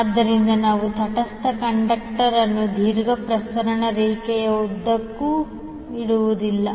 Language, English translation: Kannada, So we do not lay the neutral conductor along the long transmission line